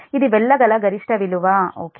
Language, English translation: Telugu, this is the maximum one can go right